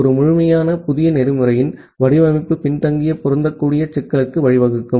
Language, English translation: Tamil, And design of a complete new protocol may lead to a problem of backward compatibility